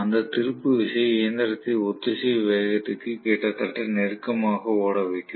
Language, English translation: Tamil, That torque will accelerate the machine almost close to the synchronous speed